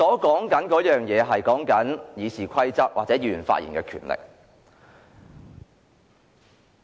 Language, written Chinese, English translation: Cantonese, 我並不是指修改《議事規則》或限制議員發言的權利。, I am not referring to the amendments to the Rules of Procedure or restricting Members right to speak